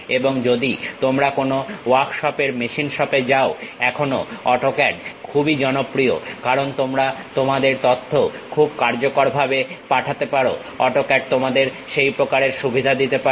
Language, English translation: Bengali, And especially if you are going to any workshops machine shops still AutoCAD is quite popular, because you want to send your information in a very effective way AutoCAD really gives you that kind of advantage